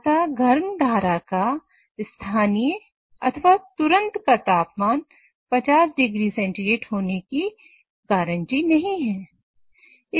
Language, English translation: Hindi, However, the local or the instantaneous temperature of the hot stream does not guarantee it to be at 50 degrees